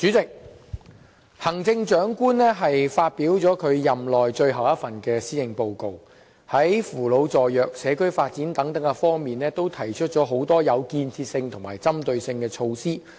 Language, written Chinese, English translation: Cantonese, 主席，行政長官發表了任內最後一份施政報告，在扶老助弱、社區發展等方面都提出很多有建設性和針對性的措施。, President the Chief Executive has delivered his last Policy Address in his term of office putting forth many constructive initiatives aiming to help the elderly as well as the disadvantaged community development etc